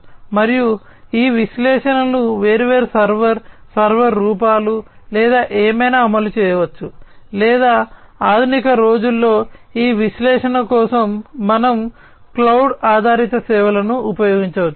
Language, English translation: Telugu, And these analytics could be run at different server, server forms or whatever or in the modern day we can used cloud based services for these analytics, right